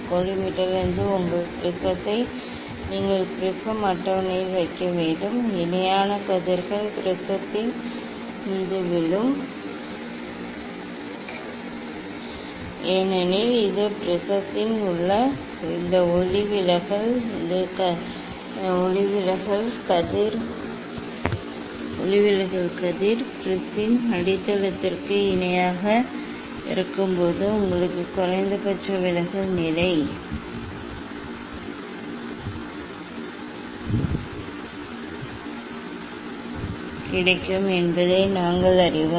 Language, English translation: Tamil, then you have to put your prism on the prism table from collimator the parallel rays will fall on the prism, as we know that this you will get minimum deviation position when this refracted ray inside the prism will be parallel to the base of the prism, after putting the prism we have to change the incident angle rotating the prism